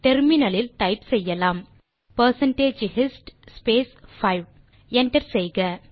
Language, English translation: Tamil, So to try this we can type in the terminal percentage hist space 5 and hit enter